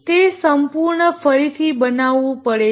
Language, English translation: Gujarati, It has to be totally redone